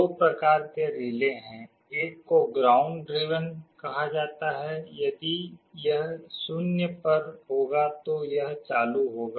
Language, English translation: Hindi, There are two kinds of relays, one is called ground driven means if you make it 0 it will be on